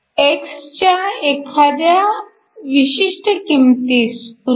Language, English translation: Marathi, For a particular value of x say 0